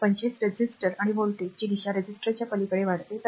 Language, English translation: Marathi, So, 25 resistor and the direction of the voltage rise across the resistor